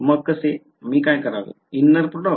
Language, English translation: Marathi, So, how, what should I do inner product right